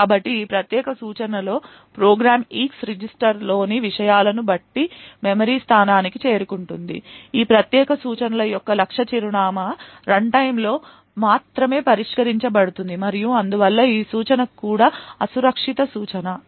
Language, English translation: Telugu, So, in this particular instruction the program would branch to a memory location depending on the contents of the eax register, the target address for this particular instruction can be only resolved at runtime and therefore this instruction is also an unsafe instruction